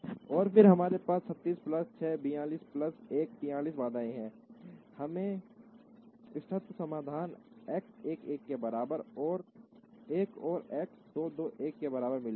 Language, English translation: Hindi, And then we have 36 plus 6, 42 plus 1, 43 constraints we would get the optimum solution X 1 1 equal to 1 and X 2 2 equal to 1